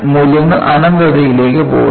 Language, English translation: Malayalam, The values go to infinity